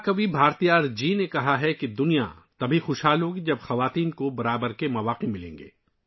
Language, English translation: Urdu, Mahakavi Bharatiyar ji has said that the world will prosper only when women get equal opportunities